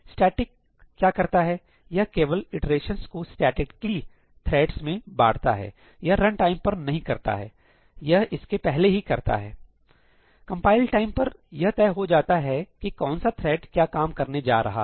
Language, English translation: Hindi, what static does is that, it basically divides the iterations statically amongst the threads, right; it is not figured out at runtime, it is done before that only, at compile time only, it’s fixed that which thread is going to do what work